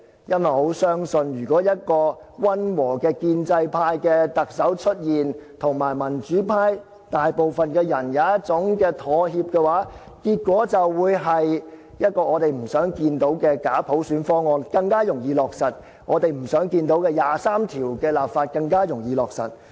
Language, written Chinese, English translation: Cantonese, 因為我很相信，如果一個溫和的建制派特首出現，可以跟民主派大部分人妥協的話，結果就是，一個我們不想看到的假普選方案便更加容易落實，我們不想看到的二十三條立法便更加容易落實。, This is because I believe the result of this will be if there is a moderate pro - establishment Chief Executive who can reach a compromise with a majority in the democratic camp it will be much easier to implement a bogus universal suffrage package we hate to see . And it will also be much easier to enact legislation on implementing Article 23 of the Basic Law against our wish